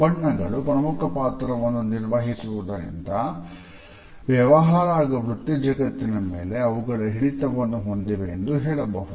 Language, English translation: Kannada, The role of color is important and therefore, we can say that colors hold a certain power in business and professional world